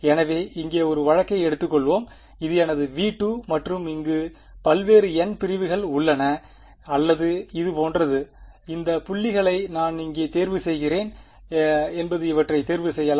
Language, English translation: Tamil, So, supposing let us take one case over here this is my V 2 and there are various n segments over here or like this and it is up to me where I choose this points can I choose these